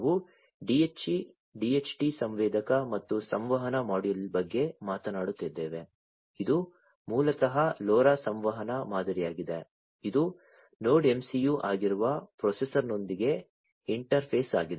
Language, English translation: Kannada, So, we are talking about a DHT sensor and a communication module, which is basically the LoRa communication model over here interfaced with the processor, which is the NodeMCU